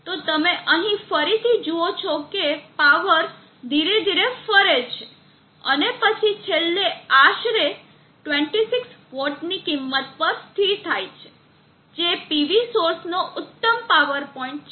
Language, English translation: Gujarati, So you see here again that the power gradually forwards and then finally settles at around the 26 vat value which is the peak power point of the PV source